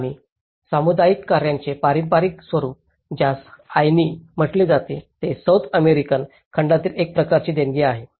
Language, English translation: Marathi, And the traditional form of community work which is called of ‘Ayni’ which is a kind of give and take process in the South American continent